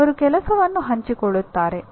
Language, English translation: Kannada, They will share the work